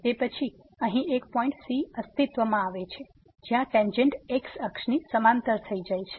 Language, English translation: Gujarati, Then, there exist a point here where the tangent is parallel to the axis